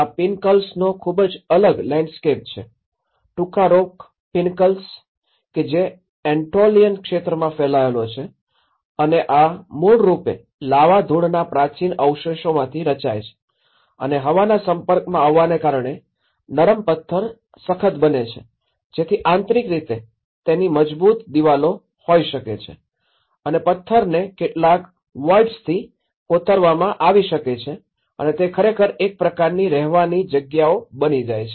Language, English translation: Gujarati, There is a very different landscapes of these pinnacles, the tufa rock pinnacles which are spreaded over in the Anatolian region and these are basically formed from the ancient deposits of the lava dust and because of the exposure to the air this soft rock hardens so that the interiors can have the firm walls and the stone can be carved with some voids and which actually becomes a kind of living spaces